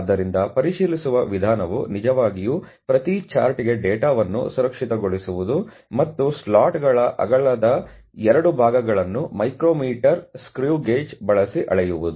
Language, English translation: Kannada, So, the method to inspect was really to secure the data for each chart and was to measure to measure the 2 portions of the slots width using micro meters screw gauge average these measurements